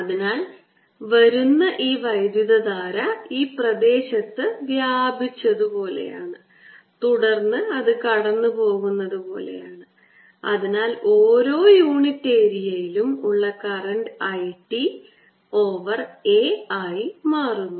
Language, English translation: Malayalam, so it is as if this current which is coming in has spread over this area, a, and then it's going through, so the current per unit area becomes i t over a